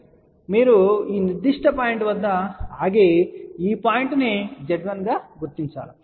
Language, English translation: Telugu, So, you stop at this particular point, designate this point as Z 1